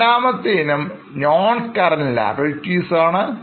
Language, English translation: Malayalam, The second item is non current liabilities